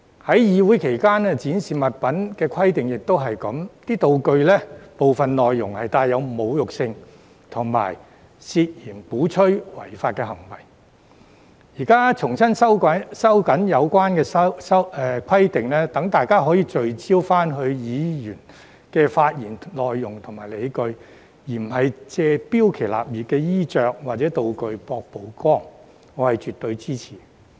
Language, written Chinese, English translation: Cantonese, 至於在會議期間展示物品的規定，情況亦是一樣，道具的部分內容帶有侮辱性和涉嫌鼓吹違法行為，現在重新收緊有關規定，讓大家可以聚焦議員的發言內容和理據，而不是借標奇立異的衣着或道具博取曝光，我是絕對支持的。, As regards the display of objects during the course of a meeting the situation was similar . Some of the props were insulting and allegedly advocated illegal acts . Now the relevant rules are tightened afresh so that we can focus on the content and rationale of Members speeches rather than trying to gain exposure through eccentric clothes or props for which I express my absolute support